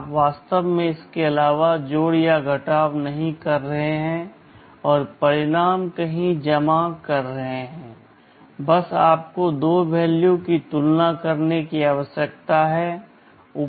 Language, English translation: Hindi, You are actually not doing addition or subtraction and storing the results somewhere, just you need to compare two values